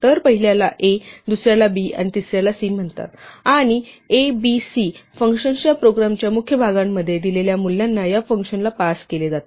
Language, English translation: Marathi, So, the first one is called a, the second is called b, and third is called c, and within the body of the program of the function a, b and c will refer to the values which are passed to this function for a given call